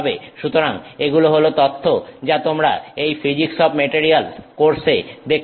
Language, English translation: Bengali, So, that's an information that you can look up in this physics of materials course